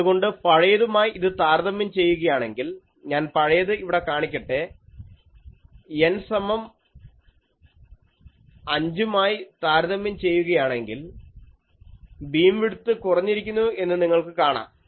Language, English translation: Malayalam, So, compared to the previous one, you can see that we are having the let me show the previous one, compared to that the N is equal to 5, the beam width is reducing